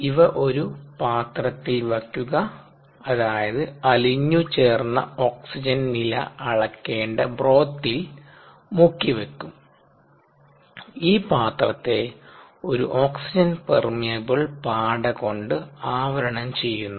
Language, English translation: Malayalam, these are placed in a housing which is dipped into the broth in which the dissolved oxygen level needs to be measured, and this housing is covered with an oxygen permeable membrane